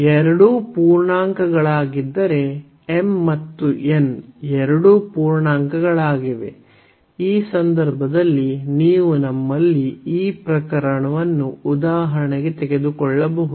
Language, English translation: Kannada, If both are integers m and n both are integers so, in this case we have you can either take this case for example